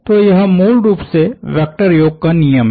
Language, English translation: Hindi, So, this forms, this is basically rule of vector addition